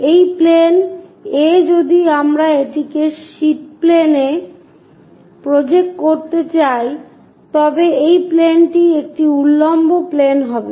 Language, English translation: Bengali, So, this plane A if we are going to project it on a sheet plane, this plane is a vertical plane